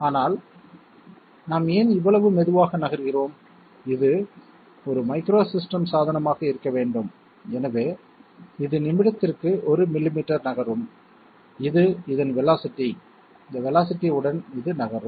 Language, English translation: Tamil, But why are we moving in such a slow manner, this must be a micro system system equipment okay micro system equipment, so it moves 1 millimetre per minute; this is the velocity with which it moves